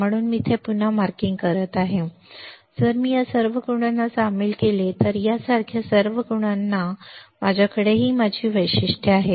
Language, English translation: Marathi, So, I am marking again here, now if I join this all the marks if I join all the marks like this, I have my characteristics I have my transfer characteristics